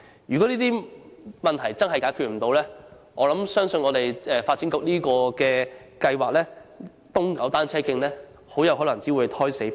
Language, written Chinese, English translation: Cantonese, 如果這些問題無法解決，我相信發展局"東九單車徑"的計劃很有可能會胎死腹中。, If these issues cannot be solved I think the Kowloon East cycle track plan of the Development Bureau may have to be abandoned